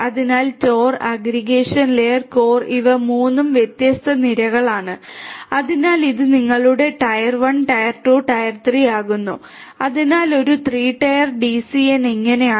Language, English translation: Malayalam, So, tor aggregation and core these are the 3 different tiers so this becomes your tier 1, tier 2 and tier 3 so, this is how a 3 tier DCN looks like